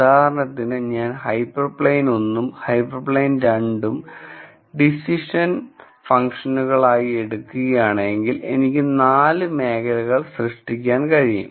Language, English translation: Malayalam, So, for example, if I take hyper plane 1, hyper plane 2, as the 2 decision functions, then I could generate 4 regions